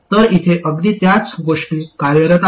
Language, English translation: Marathi, So exactly the same thing works here